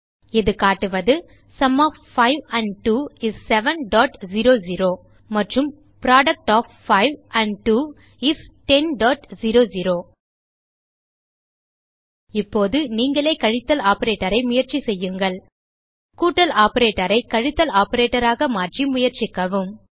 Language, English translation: Tamil, It shows, Sum of 5 and 2 is 7.00 and Product of 5and 2 is 10.00 Now you should try the subtraction operator on your own Try replacing the addition operator with subtraction operator